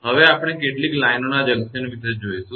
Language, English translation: Gujarati, Now, we will see the junction of several lines right